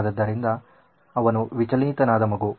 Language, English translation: Kannada, So, he is distracted child